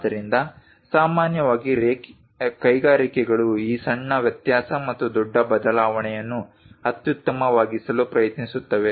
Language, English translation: Kannada, So, usually industries try to optimize this small variation and large variation